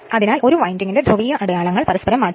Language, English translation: Malayalam, So, then the polarity markings of one of the windings must be interchanged